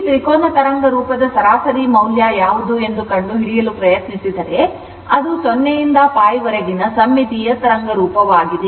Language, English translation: Kannada, If you try to find out what is the average value of this triangular wave form ah, it is a symmetrical wave form in between 0 to pi right